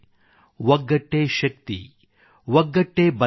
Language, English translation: Kannada, Unity is Progress, Unity is Empowerment,